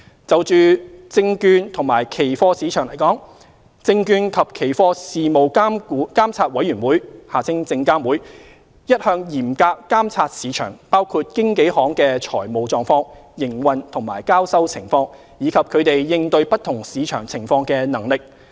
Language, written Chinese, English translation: Cantonese, 就證券及期貨市場而言，證券及期貨事務監察委員會一向嚴格監察市場，包括經紀行的財務狀況、營運及交收情況，以及他們應對不同市場情況的能力。, As regards the securities and futures markets the Securities and Futures Commission SFC monitors the market with vigilance including the financial positions operations and settlement status of brokers as well as their ability to deal with different market situations